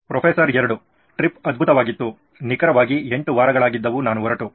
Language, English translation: Kannada, Trip was great, it has been exactly 8 weeks since I left